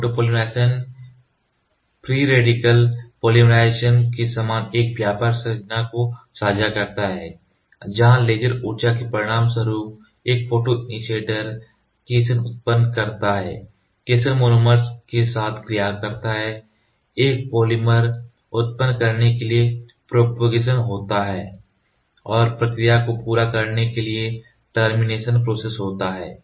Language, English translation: Hindi, The cationic photopolymerization shares the same broad structure as free radical polymerization, where a photoinitiator generates a cation as a result of laser energy, the cation reacts with the monomer, propagation occurs to generate a polymer, and the termination process to complete the reaction